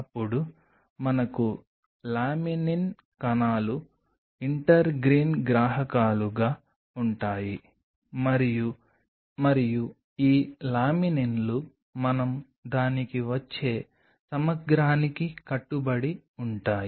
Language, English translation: Telugu, Then we have Laminin the cells are intergreen receptors and these laminins bind to the integral we will come to that